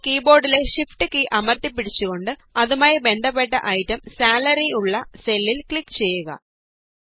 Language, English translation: Malayalam, Now hold down the Shift key on the keyboard and click on the cell with its corresponding item, Salary